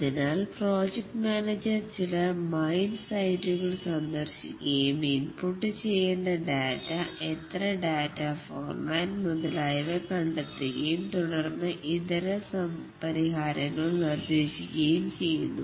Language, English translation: Malayalam, So the project manager visits some mindsites, finds out what data to be input, how many data, what format, and so on, and then suggests alternate solutions